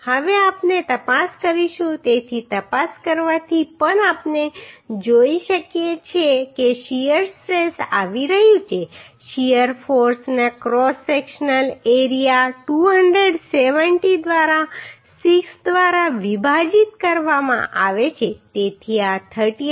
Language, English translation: Gujarati, Now we will check so checking also we can see that shear stress is coming shear force divided by cross sectional area 270 by 6 so this is becoming 38